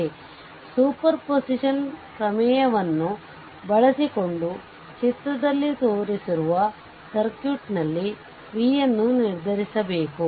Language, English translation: Kannada, So, using superposition theorem determine v, in the circuit shown in figure this things right